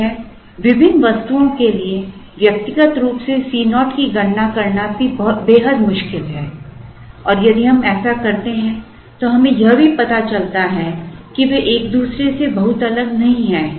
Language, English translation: Hindi, One is: it is also extremely difficult to individually compute the C naught for various items and if we do so at the end of it we also realize that they are not very different from each other